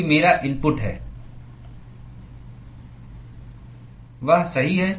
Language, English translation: Hindi, Because my input is